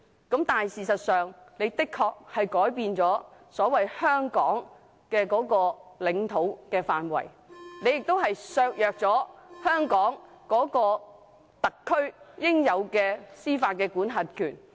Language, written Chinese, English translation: Cantonese, 但事實上，"一地兩檢"的確改變了"香港的領土範圍"，亦削弱了香港特區應有的司法管轄權。, Yet the co - location arrangement will have in essence changed the territory of Hong Kong while undermining the legitimate judicial jurisdiction of HKSAR